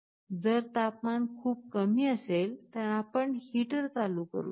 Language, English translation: Marathi, If the temperature is very low, you can turn ON a heater